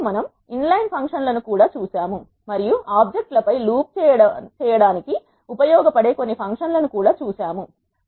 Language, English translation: Telugu, We have seen inline functions and we have also seen some functions that are useful to loop over the objects